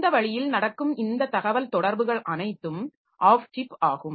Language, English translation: Tamil, So, that way all these communications that are happening, so they are off chip